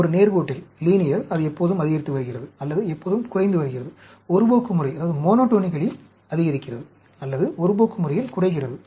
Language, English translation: Tamil, In a linear, it is always increasing or always decreasing, monotonically increasing, or monotonically decreasing